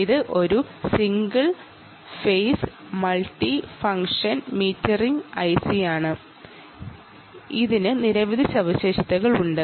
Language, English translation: Malayalam, you can see it is a single phase, multifunction, metering, i c and it has a number of features